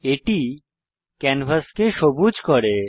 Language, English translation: Bengali, This makes the canvas green in color